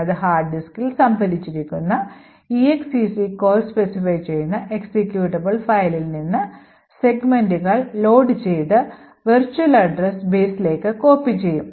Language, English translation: Malayalam, It would then load segments from the executable file stored on the hard disk and copy them into the virtual address base